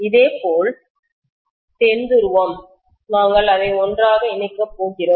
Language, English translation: Tamil, Similarly, South pole, we are going to lump it together